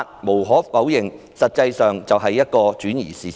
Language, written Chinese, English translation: Cantonese, 無可否認，這種說法的目的是轉移視線。, It cannot be denied that her purpose of making such a remark is to divert peoples attention